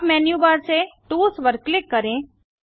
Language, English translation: Hindi, From the menu bar click tools and set up sync